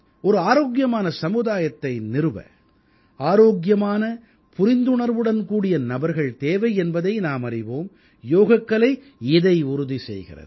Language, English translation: Tamil, We all know that healthy and sensitive denizens are required to build a healthy society and Yoga ensures this very principle